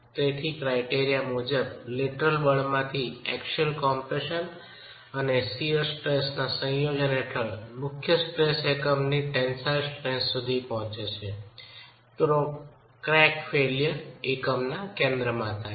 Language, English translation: Gujarati, So, the criterion says that if under a combination of axial compression and shear stress from the lateral force, the principal tension reaches the tensile strength of the unit, then you get the failure, the crack occurring through the center of the unit